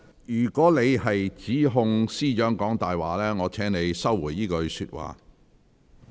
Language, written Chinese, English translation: Cantonese, 如果你指控司長"講大話"，我請你收回這句話。, If you accuse Chief Secretary of lying I require you to withdraw this remark